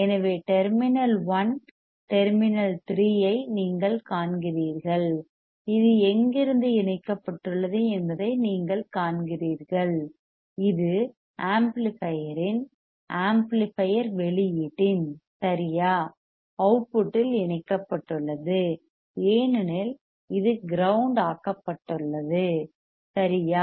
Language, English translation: Tamil, So, you see terminal 1 terminal 3 right this is the you see where is connected this connected to the output of the amplifier right output of the amplifier because this is grounded right